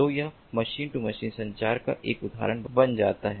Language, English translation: Hindi, so this becomes an example of machine to machine communication